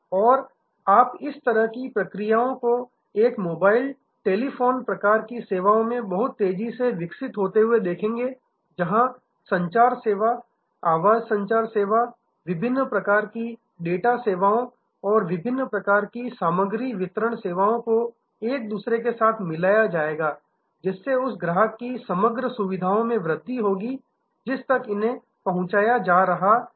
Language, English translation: Hindi, And you will see this kind of processes developing much faster in a mobile telephony type of services, where the communication service, voice communication service the different types of data services, the different type of content delivery services will get interwoven and will increase the overall package that are being delivered to the same customer